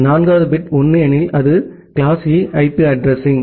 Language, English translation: Tamil, If the fourth bit is 1, then it is class E IP address